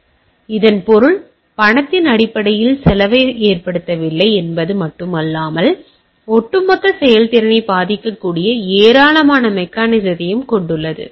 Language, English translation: Tamil, So, that means, not only it did not cause cost in terms of monetary it also have lot of mechanism into place which may affect the overall performance